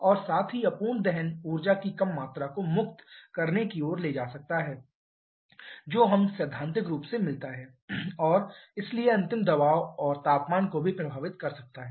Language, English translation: Hindi, And also the incomplete combustion can lead to release of lesser amount of energy then what we get in theoretically and so can also affect the final pressure and temperature